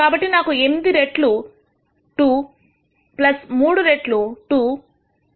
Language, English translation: Telugu, So, I have 8 times 2 plus 3 times 2 minus 5